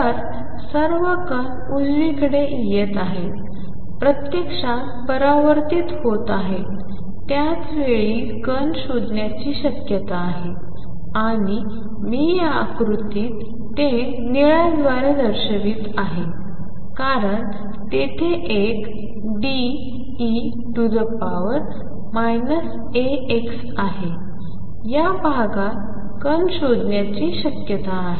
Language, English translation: Marathi, So, all the particles are coming to the right are actually getting reflected at the same time there is a probability of finding the particles and I am showing by this blue in this figure because there is a D e raised to minus alpha x there is always a probability of finding particles in this region